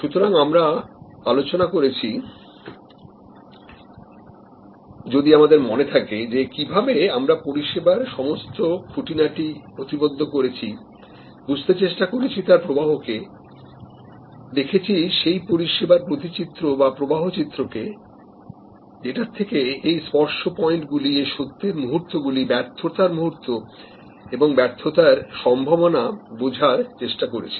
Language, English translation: Bengali, So, we discussed if we remember that how we need to map the service, understand the flow of service, the flow diagram or the service blue print to understand this touch points and the moments of truth as well as the points of failure, possible failure